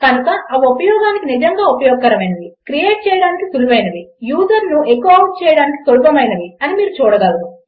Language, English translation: Telugu, So you can see that they are really very useful to use and really easy to create as well and easy to echo out the user